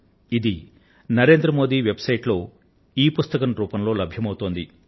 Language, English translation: Telugu, This is also available as an ebook on the Narendra Modi Website